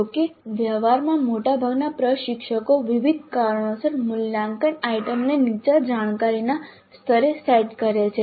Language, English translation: Gujarati, However, in practice most of the instructors do set the assessment item at lower cognitive levels for a variety of reasons